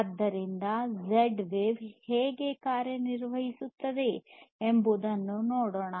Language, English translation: Kannada, So, let us look at how Z wave works